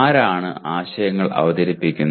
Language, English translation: Malayalam, Who introduces the concepts